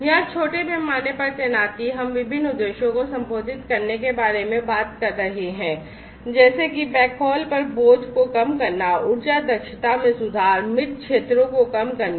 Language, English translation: Hindi, Small scale deployment here we are talking about addressing different objectives such as alleviating burden on the backhaul, improving energy efficiency and decreasing the dead zones